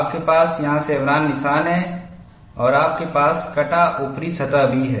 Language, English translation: Hindi, You have the chevron notch here and you also have the cut top surface